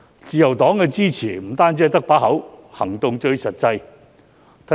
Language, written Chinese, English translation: Cantonese, 自由黨並非只是口講支持，行動最實際。, In addition to verbal support LP takes the most practical actions